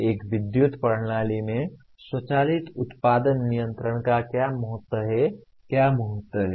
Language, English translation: Hindi, What is the importance of automatic generation control in a power system, what is the importance